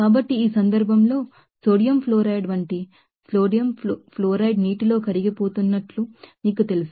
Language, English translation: Telugu, So, in this case, like sodium fluoride suppose sodium fluoride is you know dissolving in water